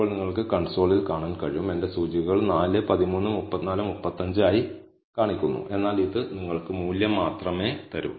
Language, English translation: Malayalam, Now So, you can see on the console, I have the indices being displayed as 4 13 34 35, but this will give you only the value